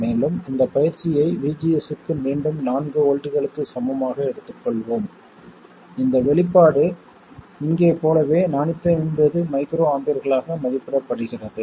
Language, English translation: Tamil, And repeating the exercise for VGS equals 4 volts, this expression evaluates to 450 microamperors, exactly like here